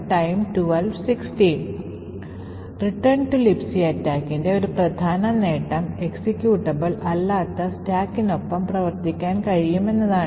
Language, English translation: Malayalam, One major advantage of the return to LibC attack is that it can work with a non executable stack